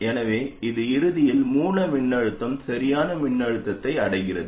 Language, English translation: Tamil, So eventually the source voltage reaches the correct voltage